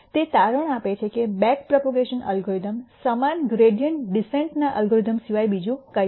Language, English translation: Gujarati, It turns out that the back propagation algorithm is nothing but the same gradient descent algorithm